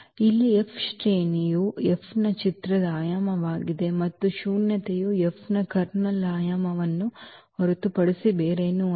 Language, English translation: Kannada, So, here the rank of F is the dimension of the image of F and nullity is nothing but the dimension of the kernel of F